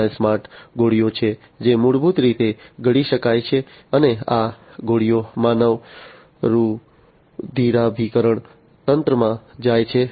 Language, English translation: Gujarati, There are smart pills which basically can be swallowed and these pills basically go to the human circulatory system